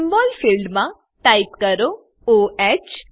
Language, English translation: Gujarati, In the Symbol field type O H